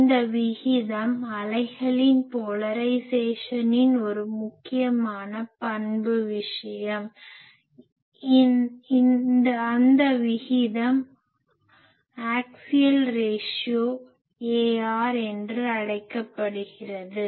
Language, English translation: Tamil, That ratio is an important characteristic thing of the polarisation of the wave; that ratio is called axial ratio, axial ratio AR